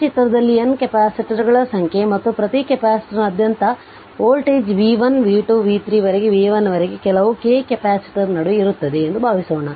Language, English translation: Kannada, Suppose you have this figure you have n number of capacitors and across each capacitor is voltage is v 1 v 2 v 3 up to v n in between some k th capacitor that is also there right